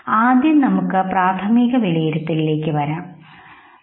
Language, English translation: Malayalam, Let us come to primary appraisal first, okay